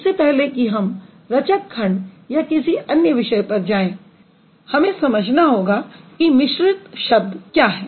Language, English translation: Hindi, So, before we go to the building blocks and other stuff, we need to find out what is a complex word